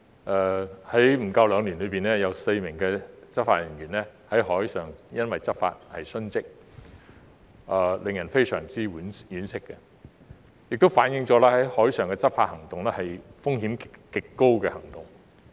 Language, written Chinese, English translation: Cantonese, 在少於兩年的時間內，有4名執法人員因在海上執法而殉職，令人非常惋惜，亦反映海上執法行動有極高風險。, Four law enforcement officers have lost their lives while discharging law enforcement duties at sea in less than two years which is most saddening and also reflects the extremely high risks of marine law enforcement operations